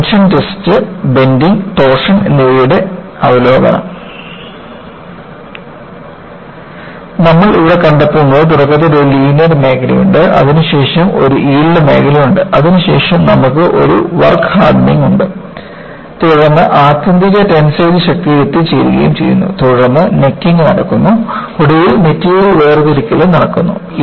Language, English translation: Malayalam, So, what you find here is, initially there is a linear region, then there is a yield region, then you have a work hardening and you reach the ultimate tensile strength, then you have necking takes place and finally, there is material separation